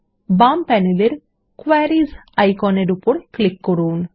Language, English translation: Bengali, Let us click on the Queries icon on the left panel